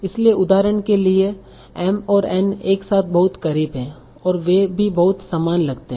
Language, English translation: Hindi, So for example M and N are very close together and they also sound very similar